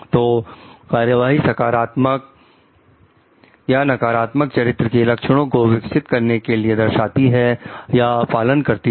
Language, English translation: Hindi, So, the act displays or for fosters development of positive character traits or negative ones